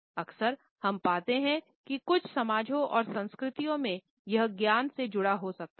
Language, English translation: Hindi, Often we find that in certain societies and cultures, it may be associated with wisdom